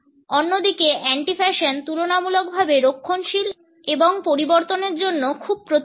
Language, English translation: Bengali, On the other hand, an anti fashion is relatively conservative and is very resistant to change